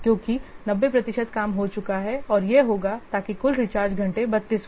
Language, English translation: Hindi, So, because 90% of the work have been done and it will show that the total rechargeable hour is 32